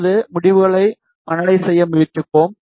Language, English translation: Tamil, Now, we will try to analyze the results